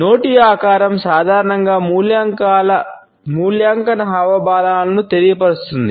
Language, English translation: Telugu, The shape of the mouth normally communicates evaluation gestures